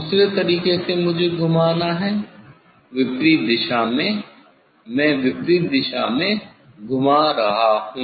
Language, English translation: Hindi, other way I have to rotate, opposite direction, I am rotating in opposite direction